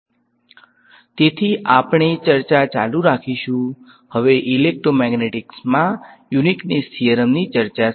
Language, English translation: Gujarati, So, we will continue our discussion, now with the discussion of the Uniqueness Theorem in Electromagnetics